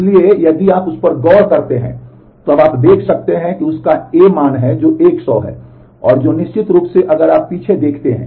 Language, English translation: Hindi, So, if you look into that, now you can see that he has A value which is 100; which certainly if you if you look back